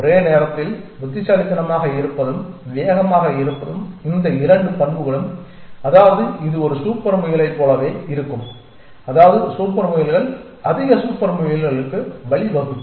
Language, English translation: Tamil, Both these properties of being smart and being fast at the same time which means it will be like a super rabbit essentially right and super rabbits will give rise to more super rabbits so on